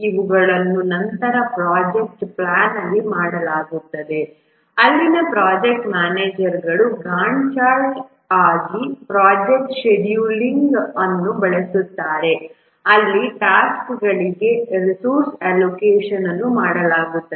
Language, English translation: Kannada, These are done later in the project planning where the project manager uses a Gant chart to do the project scheduling, where these allocation of resources to the tasks are done